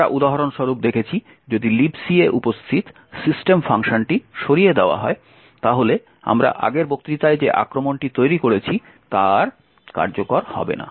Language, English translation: Bengali, We had seen for example if the system function present in libc was removed then the attack that we have built in the previous lecture will not execute anymore